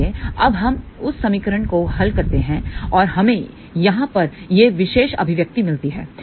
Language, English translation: Hindi, So, now we solve that equation and we get this particular expression over here